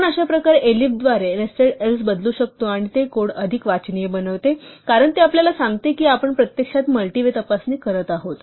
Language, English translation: Marathi, So, we can replace nested else if by elif in this way, and it makes the code more readable because it tells us that we are actually doing a multi way check